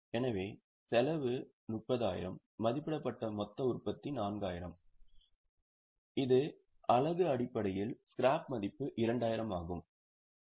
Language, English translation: Tamil, So, cost is 30,000, estimated total production is 4,000, it is in terms of units, the scrap value is 2,000